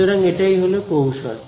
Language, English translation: Bengali, So, that is a strategy right